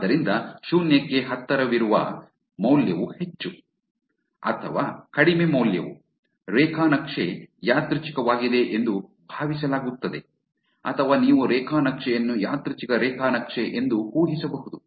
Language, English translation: Kannada, So, the more the value that is closer to 0, or the less the value is, it is actually assumed that the graph is a random or you can infer the graph is a random graph